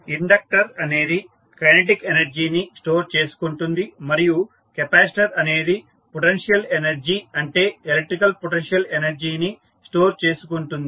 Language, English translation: Telugu, Now, the inductor stores the kinetic energy and capacitor stores the potential energy that is electrical potential energy